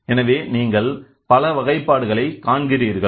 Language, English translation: Tamil, So, we have seen lot of classification